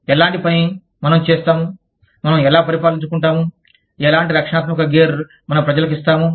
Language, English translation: Telugu, The kind of work, we do, will also govern, how we, what kind of protective gear, we give to our people